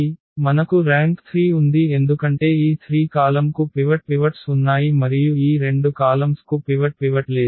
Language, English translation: Telugu, So, we have the 3 rank because these 3 columns have pivots and these two columns do not have pivot